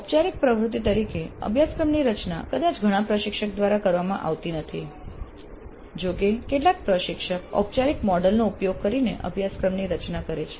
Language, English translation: Gujarati, Course design as a formal activity probably is not done by many faculty though some faculty do design the courses using a formal model but it may not be that commonly practiced in major of the institutes